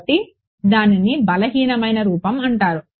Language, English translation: Telugu, So, it is called the weak form that is all